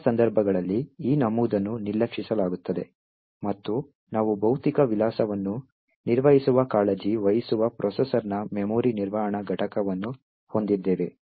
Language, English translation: Kannada, In most of the cases, this particular entry is ignored and we have the memory management unit of the processor which takes care of managing the physical address